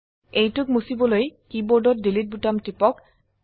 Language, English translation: Assamese, To delete it, press the delete button on the keyboard